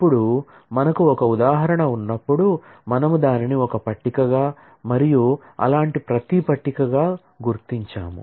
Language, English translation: Telugu, Now, whenever we have an instance, we mark that as a table and every such table